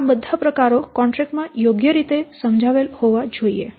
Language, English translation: Gujarati, All those things should be clearly mentioned in the contract